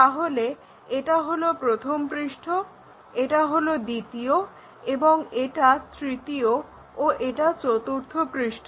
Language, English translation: Bengali, So, this is the first face, second one and third and forth faces